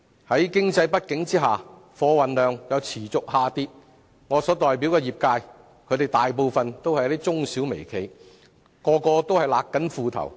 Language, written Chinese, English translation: Cantonese, 在經濟不景下，貨運量又持續下跌，我所代表的業界大部分都是中小微企，大家也正勒緊褲帶。, With the slack economy and continual reduction in cargo throughput most of the operators in my sector which are small and medium enterprises SMEs and micro - enterprises have tightened their belts